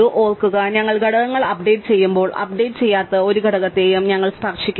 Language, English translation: Malayalam, Remember now that when we are updating elements, we do not touch any element which is not updated